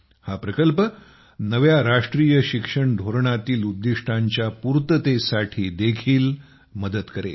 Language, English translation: Marathi, This project will help the new National Education Policy a lot in achieving those goals as well